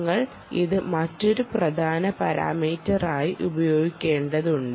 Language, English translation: Malayalam, you will have to use this also as a another important parameter